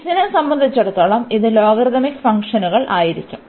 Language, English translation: Malayalam, So, with respect to x this will be the logarithmic functions